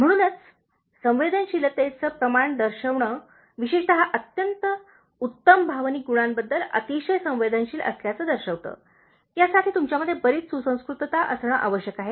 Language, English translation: Marathi, So, showing sensitivity amounts to being very sensitive to especially very fine emotional qualities, this needs lot of refinement in you